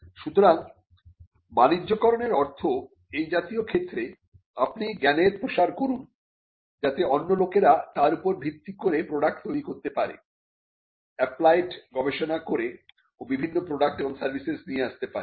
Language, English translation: Bengali, So, commercialization means in such cases you just disseminate the knowledge, so that other people can build upon it, create products, do applied research and come up with various products and services